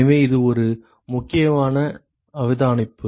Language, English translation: Tamil, So, this is an important observation